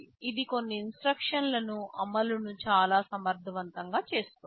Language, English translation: Telugu, This makes the implementation of some of the instructions very efficient